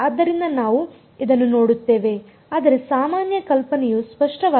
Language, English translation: Kannada, So, this is what we will look at, but is the general idea clear